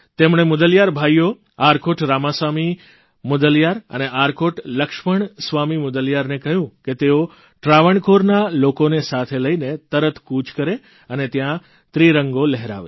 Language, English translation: Gujarati, He urged the Mudaliar brothers, Arcot Ramaswamy Mudaliar and Arcot Laxman Swamy Mudaliar to immediately undertake a mission with people of Travancore to Lakshadweep and take the lead in unfurling the Tricolour there